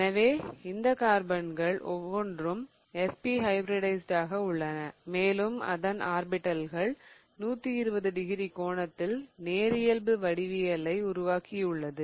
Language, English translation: Tamil, So, each of these carbons is SP hybridized and what I have here is their orbitals are at 180 degrees with respect to each other or you can also call the geometry to be linear